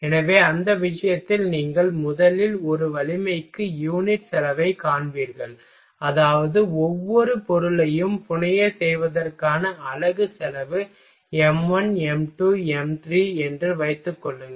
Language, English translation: Tamil, So, in the that case you will first you will find unit cost per strength means unit cost for to fabricate to fabrication of each material m1, m2, m3 then suppose that your calculating you are scaling the m1